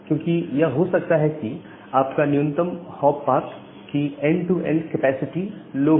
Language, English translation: Hindi, Because it may happen that your minimum path has the a very low capacity, low end to end capacity